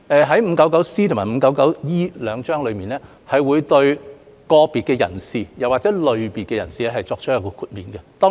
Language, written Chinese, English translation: Cantonese, 第 599C 章和第 599E 章這兩章會對個別人士或類別人士作出豁免。, Cap . 599C and Cap . 599E will provide exemptions to individuals or categories of persons